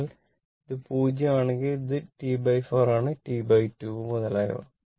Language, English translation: Malayalam, So, if it is 0, it is T by 4 then T by 2 and so on right